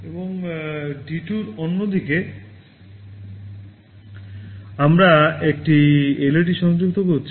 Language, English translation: Bengali, And, on the other side in D2 we are connecting a LED